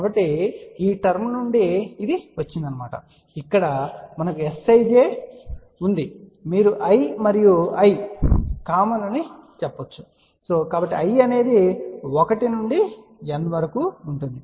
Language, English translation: Telugu, So, that is what this term comes from and here what we have S ij you can say i and i common, so i will vary from 1 to N